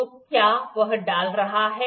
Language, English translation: Hindi, So, is it inserting